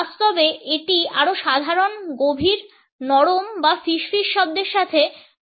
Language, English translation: Bengali, For practical purposes it could be associated with more normal deep soft or whispery voice